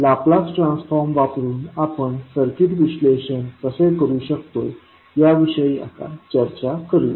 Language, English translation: Marathi, Now, let us talk about how we will do the circuit analysis using Laplace transform